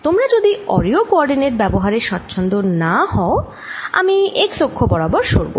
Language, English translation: Bengali, if you are not comfortable with radial coordinates, let us say i move along the x axis